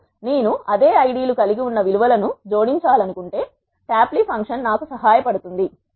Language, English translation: Telugu, Now, if I want to add the values which are having the same ids tapply function can help me